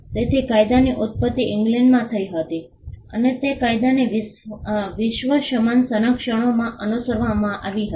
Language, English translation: Gujarati, So, the law originated in England and it was followed around the world similar versions of the law